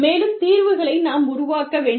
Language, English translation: Tamil, And, we need to generate, more solutions